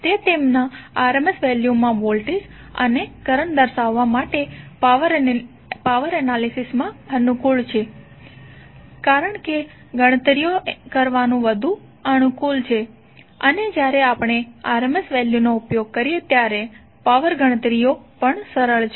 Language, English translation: Gujarati, It is convenient in power analysis to express voltage and current in their rms value because it is more convenient to do the calculations and the power calculations which is discussed is also easy when we use the rms value